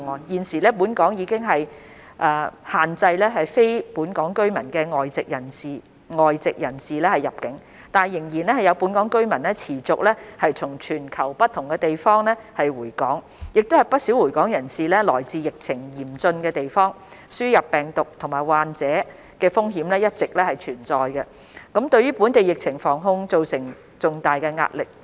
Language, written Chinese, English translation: Cantonese, 現時本港已經限制非本港居民的外籍人士入境，但仍有本港居民持續從全球不同地方回港，不少回港人士來自疫情嚴峻的地方，輸入病毒及患者的風險一直存在，對本地疫情防控造成重大壓力。, Although we have now restricted the entry of foreigners who are non - Hong Kong residents there are still local residents who continue to return to Hong Kong from abroad and quite a number of them are returning from places with severe epidemic situations . The continued risk of importation of the virus and infected patients has created considerable strain on disease prevention and control in Hong Kong